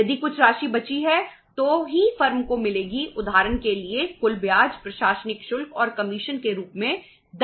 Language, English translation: Hindi, If some amount is left then still the firm will get so for example the 10% works out as the total interest, administrative charges and commission